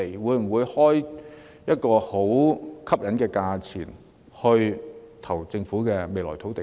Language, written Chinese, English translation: Cantonese, 會否開出很吸引的價格來競投政府日後出售的土地呢？, Will they offer attractive prices to bid for the land put to sale by the Government in the future?